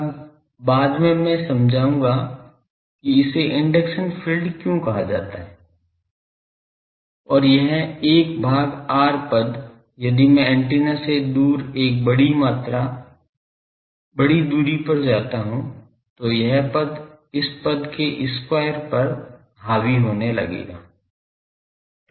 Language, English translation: Hindi, Now, later I will explain why this is called induction field and this one this 1 by r term if I go further away from the antenna at a sufficiently large distance this term will start dominating over this one square term